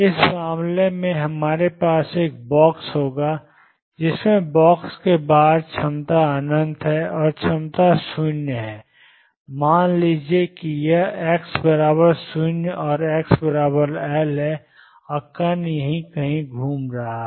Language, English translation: Hindi, In this case what we are going to have is a box in which the potential is infinite outside the box, and potential is 0 inside let us say this is x equal 0 x equals L and the particle is moving around here